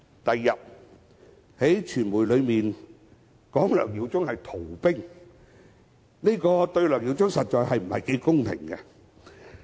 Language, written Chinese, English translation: Cantonese, 翌日，有傳媒報道指梁耀忠議員是逃兵，這對梁議員實在不太公平。, On the following day there were media reports claiming that Mr LEUNG Yiu - chung was a deserter